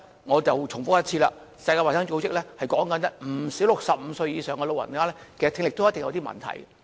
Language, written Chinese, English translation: Cantonese, 我重複一次，世界衞生組織指出，現時不少65歲以上長者的聽力也有一定問題。, I have to reiterate the World Health Organizations remark that many elderly aged 65 or above are experiencing various degrees of hearing impairment at present